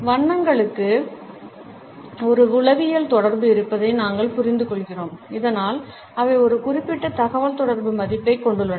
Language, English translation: Tamil, We understand that colors have a psychological association and they have thus a certain communicative value